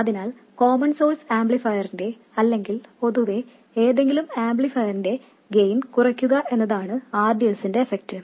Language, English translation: Malayalam, So the effect of rDS is to reduce the gain of the common source amplifier and in general any amplifier